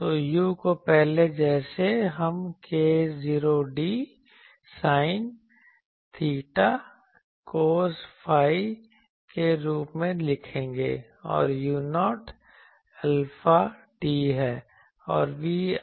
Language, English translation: Hindi, So, u as before we will write as k 0 d sin theta cos phi, and u 0 is alpha d